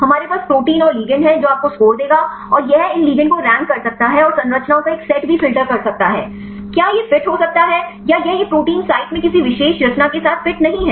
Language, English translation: Hindi, We have the proteins and the ligand this will give you score and this can rank these ligands and also filter a set of structures; whether this can fit or this is not fitting with any particular conformation in the protein site